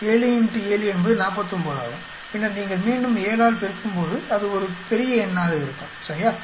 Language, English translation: Tamil, 7 into 7 is 49 and then when you multiply again by 7 that is going to be a big number, right